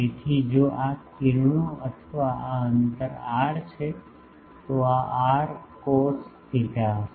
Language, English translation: Gujarati, So, if this rays or this distance is r then this will be r cos theta